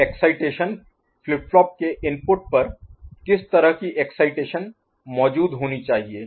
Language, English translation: Hindi, So excitation what sort of excitation should be present at the input of the flip flop right